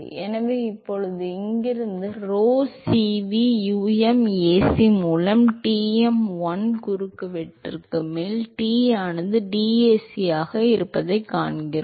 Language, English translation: Tamil, So now, so from here, we find Tm is 1 by rho Cv, um, Ac, integral over the cross section, T into dAc